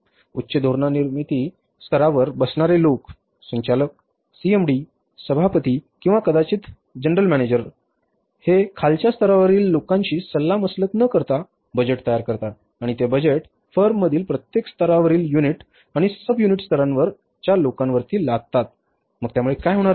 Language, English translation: Marathi, People sitting at the top policy making level, directors, CMD, chairman or maybe the GMs, they prepare the budget without consulting the people at the lowest level and they impose that budget on the people at every level unit and subunit level in the firm